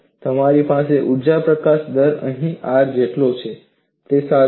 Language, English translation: Gujarati, There again, you find energy release rate equal to R